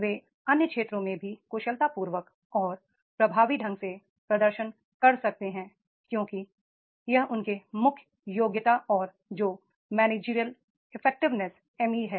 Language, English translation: Hindi, They can perform efficiently and effectively in other areas also because their core competency and that is the managerial effectiveness, ME is there